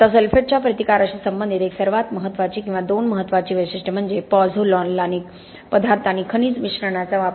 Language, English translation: Marathi, Now the one most important character or two most important characteristics as far as sulphate resistance are concerned is the use of pozzolanic materials and mineral admixtures